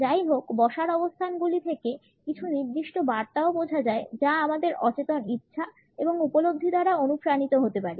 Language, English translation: Bengali, However, the sitting positions also communicates certain messages which are likely to be motivated by our unconscious desires and perceptions